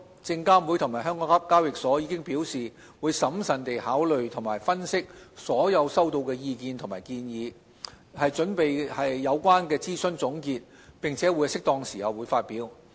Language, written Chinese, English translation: Cantonese, 證監會及港交所已表示會審慎地考慮及分析所有收到的意見和建議，以擬備有關的諮詢總結，並在適當時候發表。, SFC and HKEx have indicated they will prudently consider and analyse all comments and suggestions gathered and prepare a conclusion for the consultation to be released at appropriate time